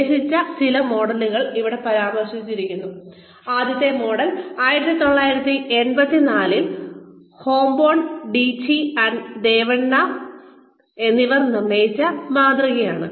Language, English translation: Malayalam, Some models that were proposed, the first model here, that is referred to here, is the model proposed by, Fomburn, Tichy & Devanna, in 1984